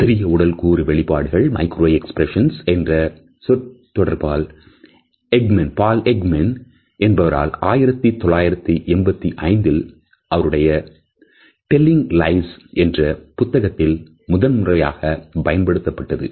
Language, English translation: Tamil, The phrase micro expressions was used for the first time by Paul Ekman in his book Telling Lies which had come out in 1985